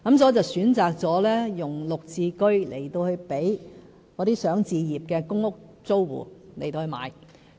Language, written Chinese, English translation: Cantonese, 所以，我選擇用"綠置居"來讓這些想置業的公屋租戶購買。, Therefore I have chosen to provide GSH units for PRH tenants who want to purchase homes